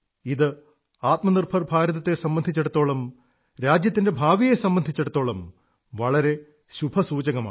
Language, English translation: Malayalam, This is a very auspicious indication for selfreliant India, for future of the country